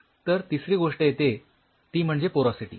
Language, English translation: Marathi, So, the third thing comes is the porosity